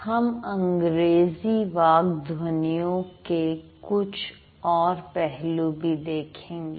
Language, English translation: Hindi, We'll see other domains or other aspects of English speech sounds also